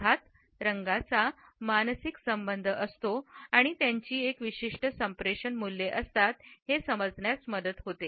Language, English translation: Marathi, We understand that colors have a psychological association and they have thus a certain communicative value